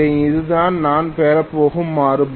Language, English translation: Tamil, This is going to be the result